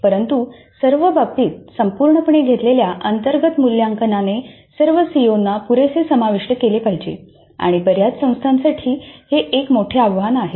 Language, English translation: Marathi, But in all cases the internal assessment taken as a whole must address all the COS adequately and this is a major challenge for many institutes